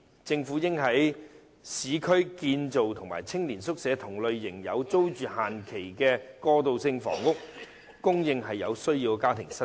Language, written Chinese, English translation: Cantonese, 政府應在市區興建與青年宿舍同類型並設有有租住期限的過渡性房屋，供有需要的家庭申請。, The Government should build transitional housing in the urban area similar to youth hostels with limited tenancy period for application by households in need